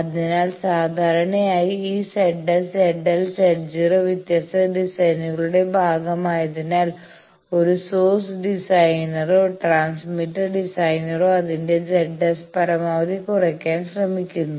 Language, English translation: Malayalam, So, that generally this Z s, Z l, Z 0 because they are part of different designs a source designer or a transmitter designer fixes up some Z S to deliver maximum power outside he tries to make his Z S as low as possible